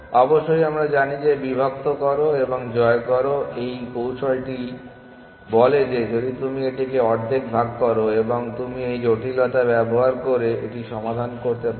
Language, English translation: Bengali, Of course, we know that divide and conquer strategy says that if you break it up into half then you can know solve it using this complexity